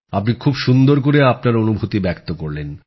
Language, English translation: Bengali, You are expressing your sentiment very well